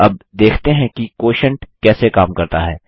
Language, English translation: Hindi, Now lets see how Quotient works